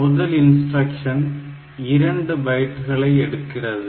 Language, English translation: Tamil, So, the first instruction; so, this takes 2 bytes